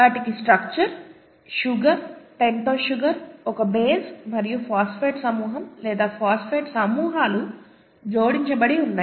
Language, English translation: Telugu, They have the structure, sugar, a pentose sugar, a base and a phosphate group or phosphate groups attached to it